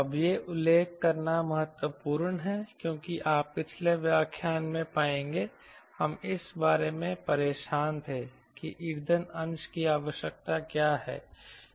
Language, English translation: Hindi, it is important to mention at this point because you will find in the previous lectures we were bothered about what is the fuel fraction required to the